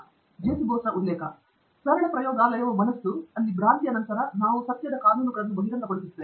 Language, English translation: Kannada, And it simply says, “The true laboratory is the mind, where behind illusions we uncover the laws of truth”